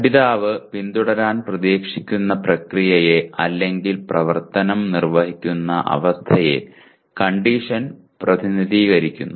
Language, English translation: Malayalam, Condition represents the process the learner is expected to follow or the condition under which to perform the action